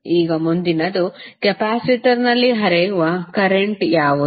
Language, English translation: Kannada, Now, next is what is the current flowing in the capacitor